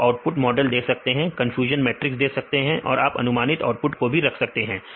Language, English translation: Hindi, You can give the output model or you can we can output the confusion matrix and also you can put the output predictions